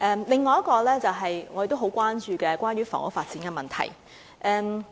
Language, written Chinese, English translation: Cantonese, 另一項議題是大家都很關注的房屋發展問題。, Another issue is housing development a matter of great concern to everybody